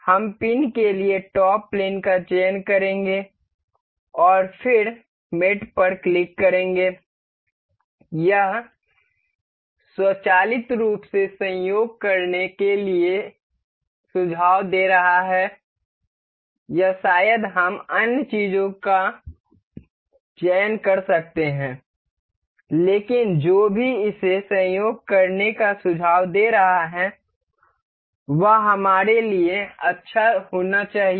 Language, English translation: Hindi, We will select the top plane for the pin, and then click on mate, it will it is automatically suggesting to coincide or or maybe we can select other things, but whatever it is suggesting to coincide it is going, it should be good for us